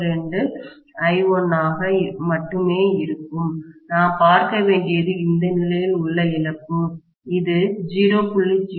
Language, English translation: Tamil, 02 times I1 for example and I have to see what is the loss at this condition, it will be 0